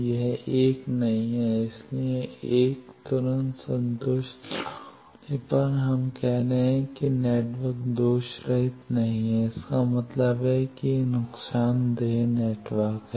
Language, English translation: Hindi, So, 1 not satisfied immediately we can say loss the network is not lossless; that means it is a lossy network